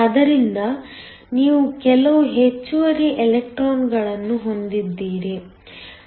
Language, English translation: Kannada, So, you have some excess electrons